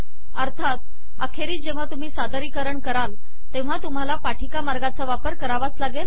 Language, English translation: Marathi, Finally of course, when you make the presentation, you may want to use the presentation mode